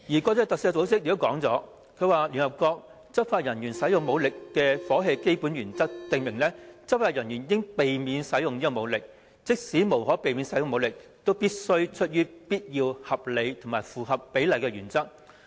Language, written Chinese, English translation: Cantonese, 國際特赦組織也說過，聯合國《執法人員使用武力和火器的基本原則》訂明，執法人員應避免使用武力，即使無可避免要使用武力，也必須出於必要、合理和符合比例的原則。, Amnesty International have stated and the United Nations have stipulated in the Basic Principles on the Use of Force and Firearms by Law Enforcement Officials that law enforcement officials should avoid the use of force and when the use of force is unavoidable it must be based on the principles that using force is strictly necessary justified and proportional